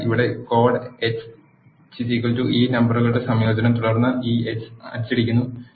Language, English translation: Malayalam, This is what the code here dash X is equal to concatenation of these numbers and then I am printing X